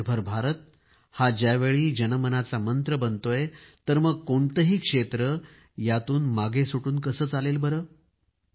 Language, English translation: Marathi, At a time when Atmanirbhar Bharat is becoming a mantra of the people, how can any domain be left untouched by its influence